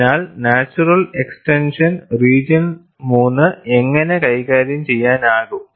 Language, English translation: Malayalam, So, the natural extension is, how region 3 can be handled